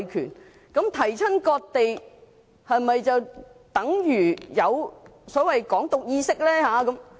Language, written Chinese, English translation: Cantonese, 是否只要提及"割地"，便等於有所謂的"港獨"意識？, Does the mere mention of cessation of land indicate the so - called Hong Kong independence ideology?